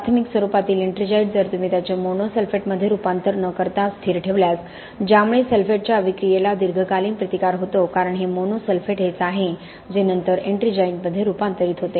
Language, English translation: Marathi, The primary formed ettringite if you keep it stable without its conversion into mono sulphate that leads to a long term resistance to sulphate attack because this mono sulphate is the one which later converts to ettringite